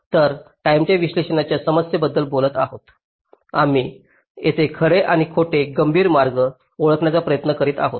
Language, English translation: Marathi, so talking about the timing analysis problem, here we are trying to identify true and false critical paths